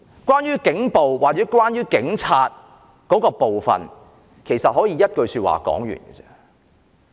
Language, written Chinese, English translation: Cantonese, 關於警暴或警察的部分，其實可以用一句說話總結。, In fact police brutality or issues regarding the Police can be summed up in one sentence